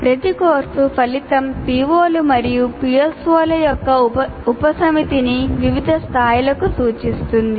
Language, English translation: Telugu, And each course outcome addresses a subset of POs and PSOs to varying levels